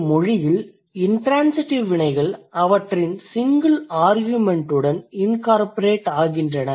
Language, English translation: Tamil, If in a language intransitive verbs incorporate their single argument